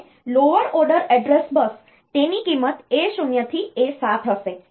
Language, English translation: Gujarati, And the lower order address bus it will have the value A 0 to A 7